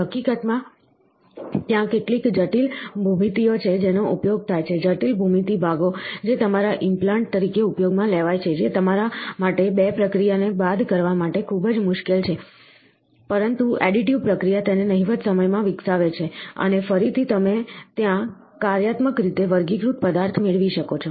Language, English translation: Gujarati, In fact, there are certain complex geometries which are used, complex geometry parts which are used as your implants, which is too difficult for you to generate to subtract 2 process, but the additive process develops it within no time, and again you can also have functionally graded material there